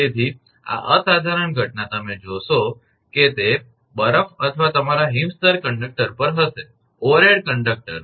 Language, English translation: Gujarati, So, this phenomena you will see that, that snow or your frost layer will be there on the conductor; overhead conductor